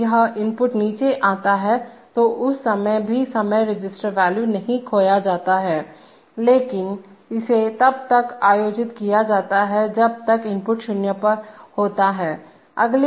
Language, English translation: Hindi, Now when this input falls down, at this time also the timing register value is not lost but it is held, so as long as the input is 0 it is held